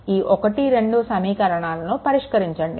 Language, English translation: Telugu, So, equation 1 and 2, you solve